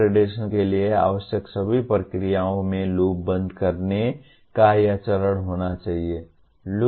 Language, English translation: Hindi, All the processes required for accreditation need to have this step of closing the loop